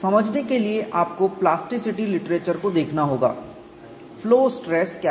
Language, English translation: Hindi, You have to look at a plasticity literature to understand what the flow stress is